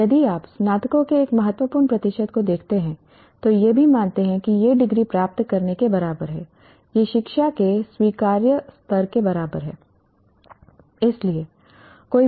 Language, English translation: Hindi, And if you look at quite a significant percentage of the graduates also consider it is equal and to getting a degree is equal and to getting an acceptable level of education per se